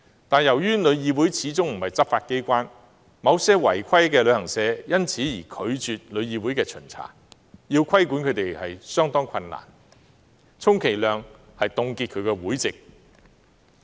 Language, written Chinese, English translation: Cantonese, 然而，由於旅議會始終不是執法機關，某些違規旅行社因而拒絕旅議會的巡查，令規管工作相當困難，充其量只能凍結這些旅行社的會籍。, Nonetheless as TIC is not a law enforcement agency some non - compliant travel agents reject TICs inspection which makes regulatory work very difficult . At most TIC can only suspend the memberships of these travel agents